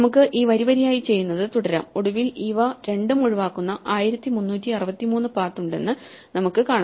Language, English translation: Malayalam, So, we can continue doing this row by row, and eventually we find look there are 1363 paths which avoid these two